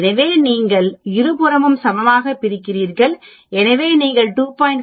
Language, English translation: Tamil, So you divide equally on both the sides so you get 2